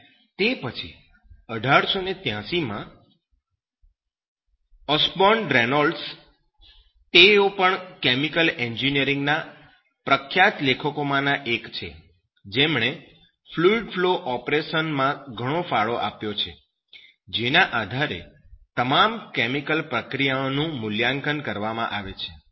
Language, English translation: Gujarati, Osborne Reynolds, he is also one of the renowned peoples in chemical engineering who has contributed a lot in fluid flow operation based that in which all chemical processes are assessed